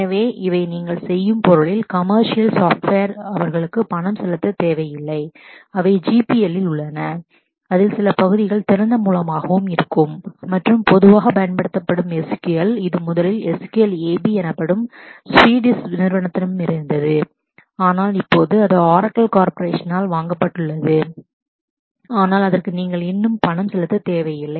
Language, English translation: Tamil, So, these are non commercial the software in the sense that you do not need to pay for them and they are on the GPL and some of some part of that would be open source as well and a very commonly used is my SQL which is was originally from a Swedish company called my SQL AB, but now it is acquired by Oracle corporation, but it still does not you do not need to pay for that